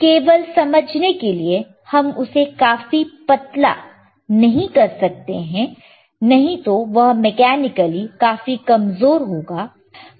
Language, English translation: Hindi, jJust to understand that, we cannot make it too thin, otherwise it will be mechanically weak